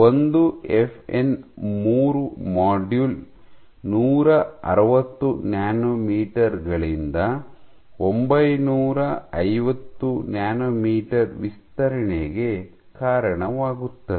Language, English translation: Kannada, One FN 3 module will lead to extension from 160 nanometers to 950 nanometers